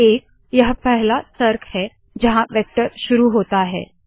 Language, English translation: Hindi, 1 is the first argument where the vector starts